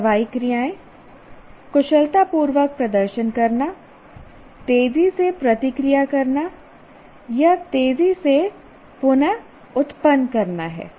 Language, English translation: Hindi, The action verbs could be perform skillfully, react fast, reproduce fast or respond fast